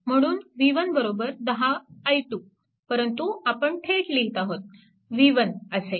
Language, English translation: Marathi, So, v 1 is equal to 10 into i 2, but we are taking directly directly, this v 1 like this, right